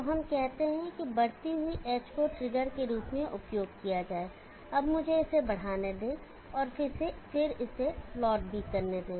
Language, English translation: Hindi, So let us say the rising edge will be used as a trigger, now let me extent this and then plot this also